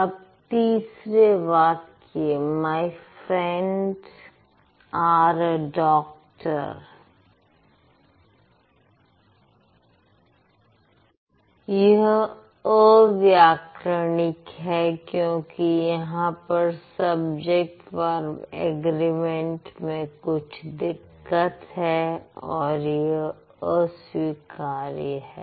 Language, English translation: Hindi, Sentence number three, my friend are a doctor on grammatical because there is a problem with the subject of agreement also unacceptable